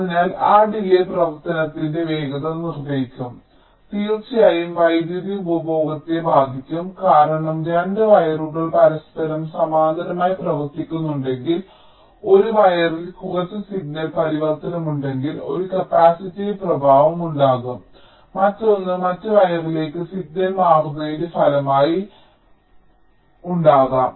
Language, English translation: Malayalam, so those delays will determine the speed of operation and of course there will be an impact on power consumption because if there are two wires running parallel to each other, if there is some signal transition on one wire, there can be an capacitive effect on the other and there can be also a resulting signal transitioning to the other wire